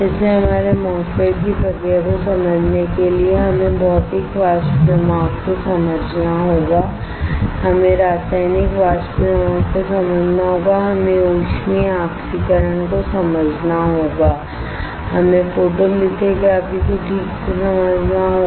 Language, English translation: Hindi, So, to understand the process of our MOSFET we had to understand Physical Vapor Deposition, we had to understand Chemical Vapor Deposition, we have to understand thermal oxidation, we have to understand photolithography alright